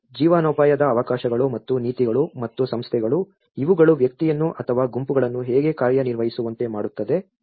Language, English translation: Kannada, As well as the livelihood opportunities and also the policies and the institutions, how these actually make the individual or the groups to act upon